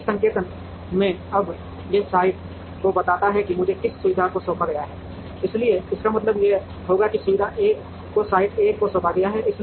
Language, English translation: Hindi, So, in this notation now this represents the site to which facility i is assigned, so this would mean that facility 1 is assigned to site 1